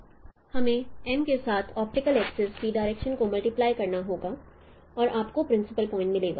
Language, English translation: Hindi, We need to multiply multiply the directions of the optical axis with M and you will get the principal point